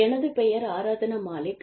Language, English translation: Tamil, My name is Aradhna Malik